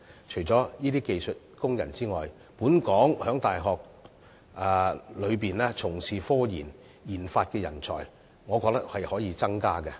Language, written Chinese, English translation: Cantonese, 除了這些技術工人之外，本港在大學內從事科研和研發的人才，我認為可以增加。, Skilled workers aside I think we can also expand the pool of talents engaged in scientific research or RD work in local universities